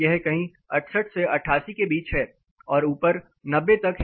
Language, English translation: Hindi, You know it ranges somewhere from 68 to 88 and all the way to height 90